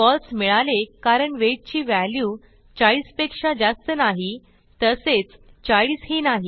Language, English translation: Marathi, We get a false because the value of weight is not greater than 40 and also not equal to 40